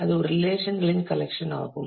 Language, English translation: Tamil, It is a collection of relations